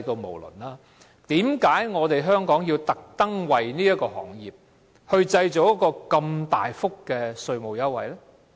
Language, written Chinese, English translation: Cantonese, 為甚麼香港要為這個行業製造大幅稅務優惠？, Why should Hong Kong provide substantial tax concession for this industry?